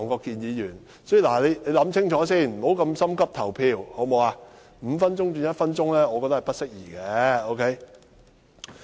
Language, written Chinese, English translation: Cantonese, 故此我覺得把點名表決鐘聲由5分鐘縮短至1分鐘是不適宜的。, Hence I think it is inappropriate to shorten the duration of the division bell from five minutes to one minute